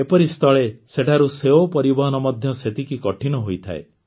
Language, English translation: Odia, In such a situation, the transportation of apples from there is equally difficult